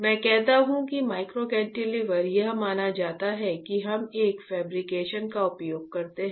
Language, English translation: Hindi, I say micro cantilever it is assumed that we use back a fabrication